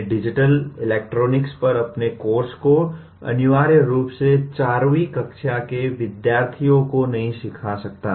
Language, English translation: Hindi, I cannot teach my course on digital electronics to a necessarily to a student of let us say 4th standard